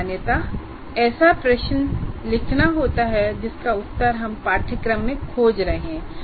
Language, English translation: Hindi, And generally it is good to write one kind of a question for which we are seeking answer in a particular course